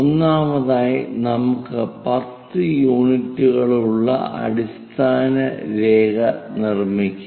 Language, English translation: Malayalam, First of all, let us construct a baseline of 10 units